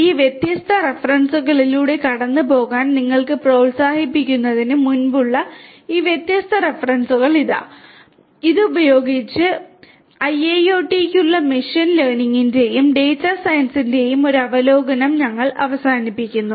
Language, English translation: Malayalam, Here are these different references like before you are encouraged to go through these different references and with this we come to an end of the getting an overview of machine learning and data science for IIoT